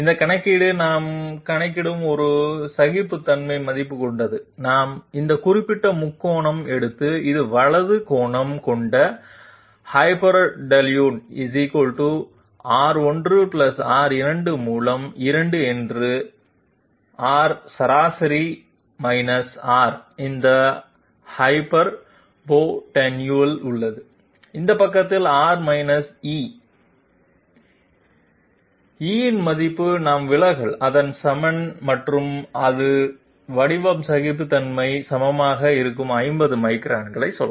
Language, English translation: Tamil, This calculation we bring in the value of the tolerance into the calculation, we take this particular triangle which is right angle having hypotenuse = R 1 + R 2 by 2 that is R mean R is this hypotenuse, this side is R E, E value is the we have equated it to the deviation and it will be equal to the form tolerance say 50 microns